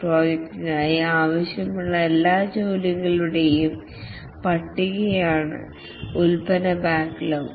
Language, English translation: Malayalam, The product backlog is a list of all the desired work for the project